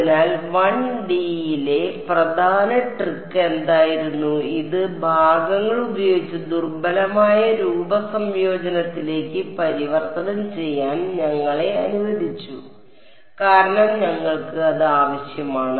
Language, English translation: Malayalam, So, what was the key trick in 1D that allowed us to convert this to weak form integration by parts and we needed that because